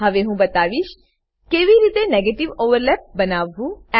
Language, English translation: Gujarati, Now, I will demonstrate how to draw a negative overlap